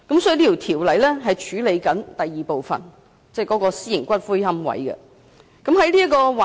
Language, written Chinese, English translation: Cantonese, 這項《條例草案》是處理上述第二項訴求，即規範私營龕場。, The Bill deals with the second aspiration I have just mentioned that is the regulation of private columbaria